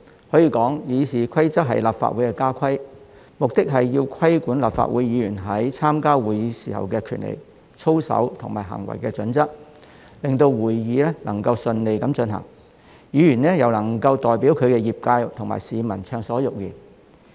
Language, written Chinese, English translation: Cantonese, 所以，《議事規則》可說是立法會的家規，目的是規管立法會議員在參加會議時的權利、操守及行為準則，令會議能夠順利進行，議員可以代表其業界及市民暢所欲言。, For that reason it can be said that the Rules of Procedure are the house rules of the Legislative Council . They aim at regulating the rights probity and code of conduct of Members when attending the meetings of the Legislative Council so as to allow the meetings to be conducted without a hitch and Members to speak their mind freely on behalf of their sectors and constituencies